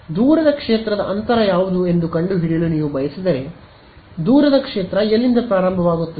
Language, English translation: Kannada, If you wanted to find out what is the far field distance, where does the far field begin